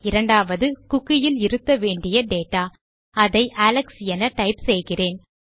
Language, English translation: Tamil, The second one is the data that needs to be stored inside this cookie and Ill type Alex here